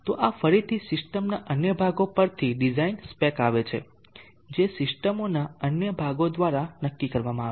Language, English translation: Gujarati, So this again is a design speck coming from the other portions of the systems determined by the other portions of the systems